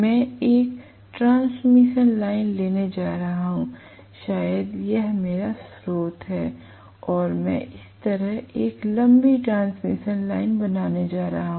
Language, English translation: Hindi, Please understand, I am going to have a transmission line maybe here is my source and I am going to have a long transmission line like this